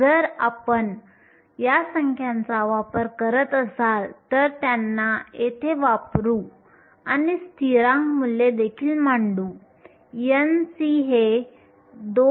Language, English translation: Marathi, If you use these numbers, substitute them in here and also put in the values of the constants, n c turns out to be 2